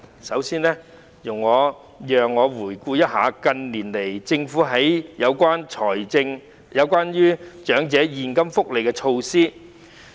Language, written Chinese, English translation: Cantonese, 首先，容我回顧一下近年來政府推行的長者現金福利措施。, To begin with allow me to review the elderly cash benefits provided by the Government in recent years